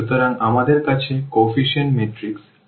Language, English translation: Bengali, So, we have the coefficient matrix that this I will matrix A